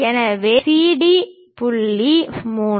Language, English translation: Tamil, So, CD the point is 3